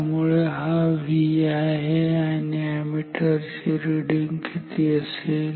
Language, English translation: Marathi, So, this is the V and what will be the ammeter reading ammeter reading